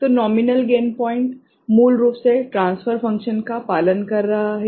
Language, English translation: Hindi, So, nominal gain points is basically following the transfer function right